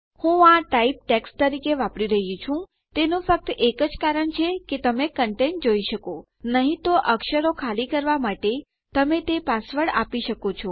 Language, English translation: Gujarati, The only reason Im using this as type text is so you can see the content otherwise you can give it a password to blank out the characters